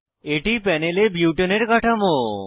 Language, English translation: Bengali, This is the structure of butane on the panel